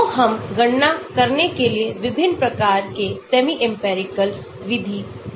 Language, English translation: Hindi, So, we can give different types of semi empirical method also for doing the calculation